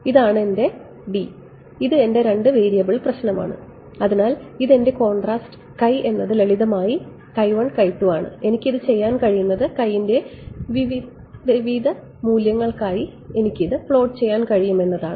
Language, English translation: Malayalam, This is my 2 D this is my two variable problem so, my contrast x is simply x 1 x 2 and what I can do is I can plot this for different values of x